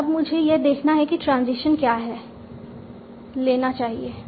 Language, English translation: Hindi, And now I have to see what is the transition I should be taking here